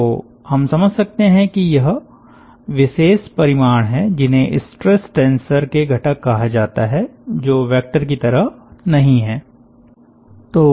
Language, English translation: Hindi, so this particular quantity is which are like called as components of a stress tensor